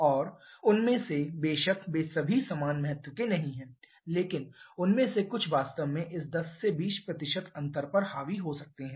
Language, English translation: Hindi, And out of them of course all of them are not of equal importance but some of them can really dominate this 10 20% difference